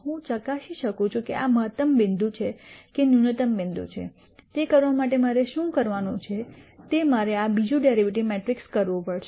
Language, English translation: Gujarati, I can check whether this is a maximum point or a minimum point, to do that what I have to do is I have to do this second derivative matrix